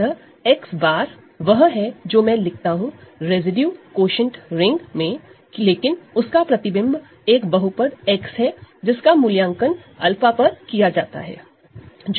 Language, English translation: Hindi, So, X bar is what I am writing in the residue quotient ring, but its image is just the polynomial X evaluated at alpha that is just alpha